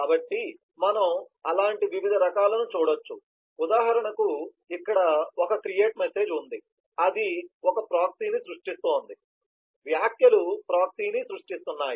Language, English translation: Telugu, so we can see different such types, for example here creates, so you have a create message, which is creating the proxy, the comments is creating the proxy